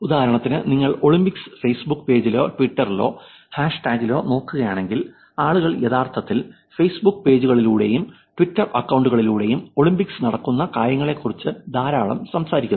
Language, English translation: Malayalam, For example, now I am sure if you look at the Olympics Facebook page or the twitter handle or the hashtag, people are actually talking a lot about things that are going on in the Olympics in the context of Facebook page and Twitter accounts also